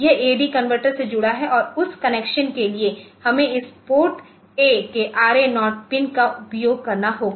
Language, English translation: Hindi, So, that is this that is connected to the AD converter and for that connection we need to use this RA0 pin of this PORTA